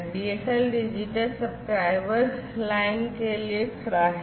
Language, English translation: Hindi, DSL stands for Digital Subscriber Line